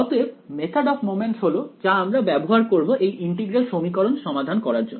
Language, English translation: Bengali, So, method of moments is what will use to solve this integral equation